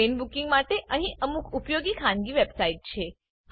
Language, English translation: Gujarati, There are some useful private website for train booking